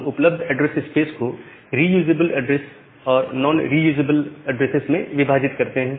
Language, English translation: Hindi, We divide the available address space into reusable address and non reusable address